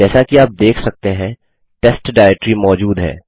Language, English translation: Hindi, As you can see the test directory exists